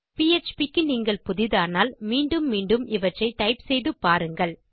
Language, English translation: Tamil, If you are new to php I would suggest that you type these out again and again just for practice